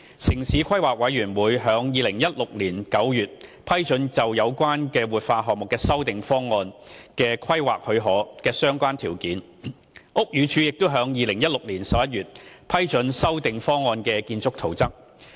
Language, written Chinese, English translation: Cantonese, 城市規劃委員會於2016年9月批准有關活化項目修訂方案規劃許可的相關條件，屋宇署亦於2016年11月批准修訂方案的建築圖則。, The Town Planning Board approved the relevant planning approval conditions for the revised design of the revitalization project in September 2016 and the Buildings Department approved the revised building plan in November 2016